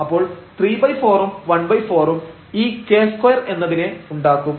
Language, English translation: Malayalam, So, this is just 3 by 4 k square there